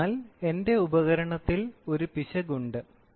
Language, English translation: Malayalam, So, then there is an error in my